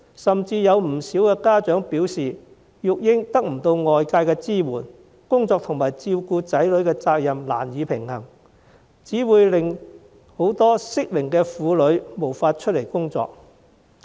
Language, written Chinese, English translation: Cantonese, 甚至有不少家長表示，育兒得不到外界支援，工作和照顧子女的責任難以平衡，這只會令很多適齡婦女無法出外工作。, Some parents even indicated that they received no external support in childcare and they were unable to balance working and taking care of their children . Many women of the relevant age cohort were thus unable to go out to work